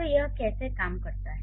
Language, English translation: Hindi, So then how does it work